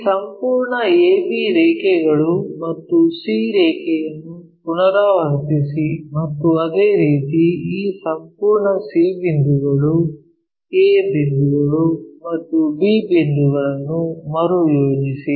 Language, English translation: Kannada, Now, re project this entire a b lines and c line and similarly re project this entire c points a points and b points